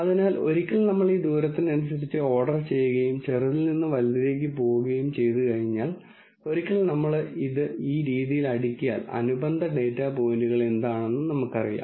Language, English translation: Malayalam, So, once we order this according to distance and go from the smallest to largest, once we sort it in this fashion, then we also know what the correspond ing data points are